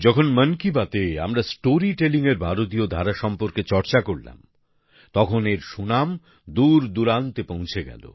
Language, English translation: Bengali, When we spoke of Indian genres of storytelling in 'Mann Ki Baat', their fame also reached far and wide